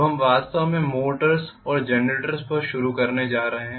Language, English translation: Hindi, Now we are going to start actually on motors and generators